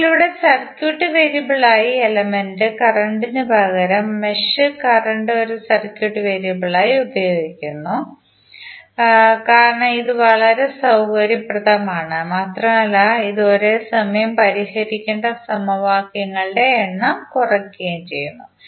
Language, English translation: Malayalam, Now, here instead of element current as circuit variable, we use mesh current as a circuit variable because it is very convenient and it reduces the number of equations that must be solved simultaneously